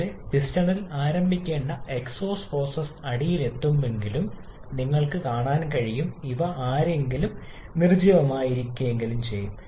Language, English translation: Malayalam, As you can see though the exhaust process supposed to start with the piston reaches the bottom dead centre someone here, the exhaust valve has opened at this particular point only